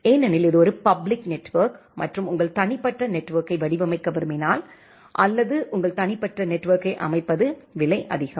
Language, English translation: Tamil, Because it is a public network and if you want to design your private network or want to set up your private network it is expensive to make a setup of your private network